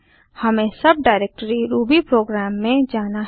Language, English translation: Hindi, We need to go to the subdirectory rubyprogram